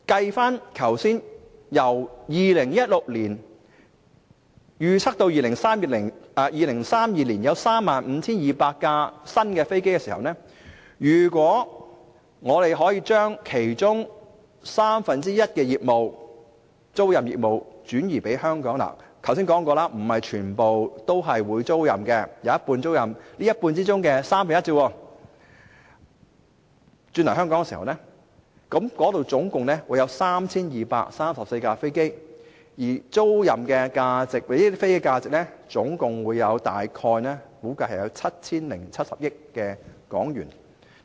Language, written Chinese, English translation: Cantonese, 如果以2016年至2032年預測約有 35,200 架新飛機來計算，而我們可以將其中三分之一的租賃業務轉移到香港——我剛才也說過，不是全部飛機都是供租賃的，只有一半作租賃，在這一半之中的三分之一，總共有 3,234 架飛機供租賃——而這些飛機租賃業務的價值總共大約 7,070 億港元。, Using the 35 200 new aircraft to be delivered from 2016 to 2032 as a base for calculation if we can secure one third of these aircraft leasing businesses to Hong Kong as I said earlier not all but only half of the aircraft are available for leasing and one third of this half is 3 234 aircraft and if we can secure the leasing activities of these 3 234 aircraft it will bring in some HK707 billion